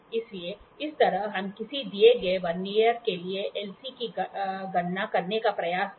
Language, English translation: Hindi, So, this is how we try to calculate the LC for a given Vernier